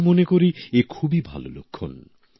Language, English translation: Bengali, I view this as a very good indicator